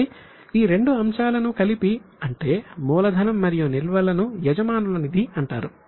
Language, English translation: Telugu, So, these two items taken together, capital plus reserves, are known as owners fund